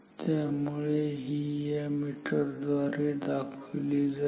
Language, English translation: Marathi, So, this is shown by the meter ok